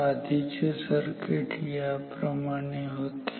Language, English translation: Marathi, So, the previous circuit was like this